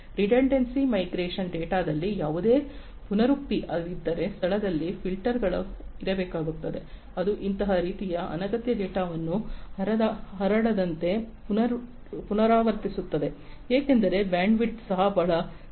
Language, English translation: Kannada, Redundancy mitigation is you know if there is any redundancy in the data there has to be filters in place which will in remove the repetition of such kind of unnecessary data from being transmitted, because the bandwidth is also very limited